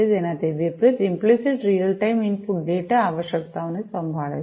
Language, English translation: Gujarati, On the contrary, implicit handles real time input output data requirements